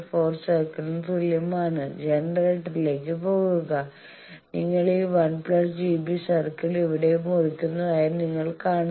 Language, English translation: Malayalam, 4 circle and go towards generator and you see you are cutting this 1 plus J B circle here